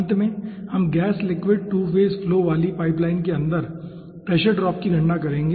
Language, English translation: Hindi, at the end we will be calculating pressure drop inside a pipeline carrying gas solid 2 phase flow